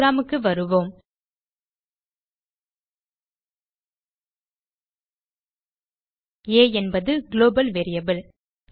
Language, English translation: Tamil, Come back to our program a is a global variable